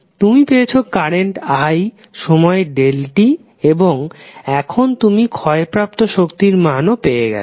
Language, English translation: Bengali, You have got current i you have got time delta t and now you have also got the value of energy which has been consumed